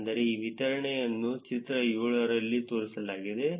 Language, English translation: Kannada, Which is, distribution of these distances are shown in figure 7